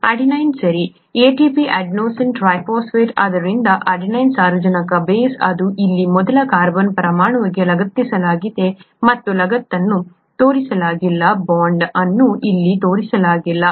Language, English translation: Kannada, The adenine, okay, ATP, adenosine triphosphate, so the adenine, nitrogenous base it is attached to the first carbon atom here and the attachment is not shown, the bond is not shown here